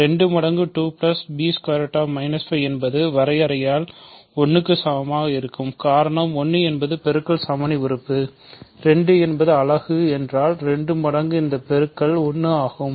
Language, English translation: Tamil, 2 times a plus b times root minus 5 will be equal to 1 by definition, because 1 is the multiplicative identity element, 2 is a unit means 2 times this is 1